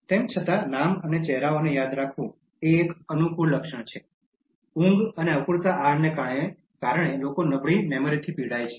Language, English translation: Gujarati, Although remembering names and faces is a likeable trait, people suffer from poor memory owing to lack of sleep and inadequate diet